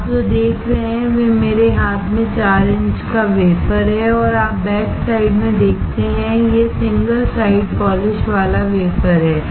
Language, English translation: Hindi, What you see is a 4 inch wafer in my hand and you see in the backside this is single side polished wafer